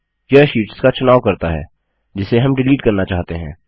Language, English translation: Hindi, This selects the sheets we want to delete